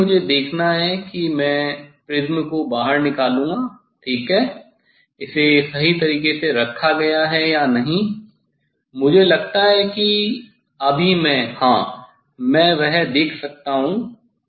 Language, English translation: Hindi, here also I have to see, I have to see I will take prism out, I have to see the ok, it is placed at right way or not, I think I will just, yes, I can see that one